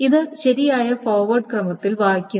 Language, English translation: Malayalam, So it is read in the correct order, the forward order